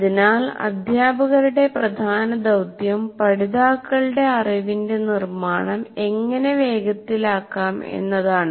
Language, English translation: Malayalam, So the main task of the teacher should be how do I foster the construction of the knowledge of all learners